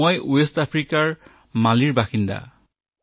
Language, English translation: Assamese, I am from Mali, a country in West Africa